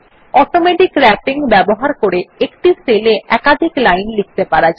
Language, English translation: Bengali, Automatic Wrapping allows a user to enter multiple lines of text into a single cell